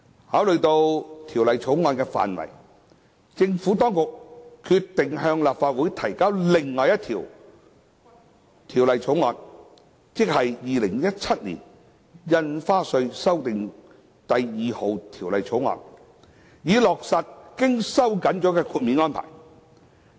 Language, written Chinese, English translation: Cantonese, 考慮到《條例草案》的範圍，政府當局決定向立法會提交另一項《2017年印花稅條例草案》，以落實經收緊的豁免安排。, Taking into account the scope of the Bill the Administration decided to introduce another bill No . 2 Bill 2017 into the Legislative Council to implement the tightened exemption arrangement